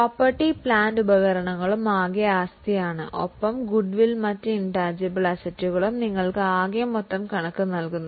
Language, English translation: Malayalam, So, property plant and equipment that is the tangible assets total and goodwill and other intangible assets total which gives you the total of total